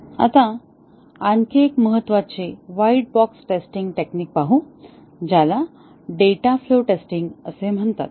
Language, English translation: Marathi, Now, let us look at one more important white box testing technique which is called as data flow testing